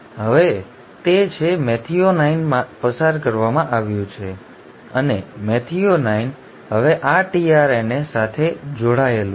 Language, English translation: Gujarati, So now it has, methionine has been passed on and methionine is now linked to this tRNA